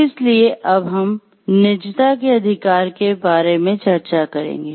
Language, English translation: Hindi, So, we will discuss about privacy right